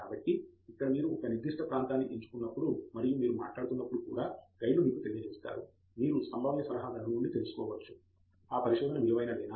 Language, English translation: Telugu, So, here also the guides will tell you, when you pick a certain area and when you are talking to a potential advisor you can find out from the potential advisor, whether it is worth carrying out research